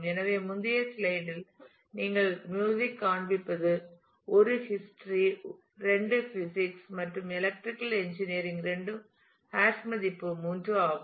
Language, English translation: Tamil, So, you can see in the earlier slide we are showing music is 1 history is 2 physics and electrical engineering both are hash value 3